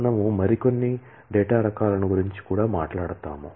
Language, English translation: Telugu, We will also talk about more data types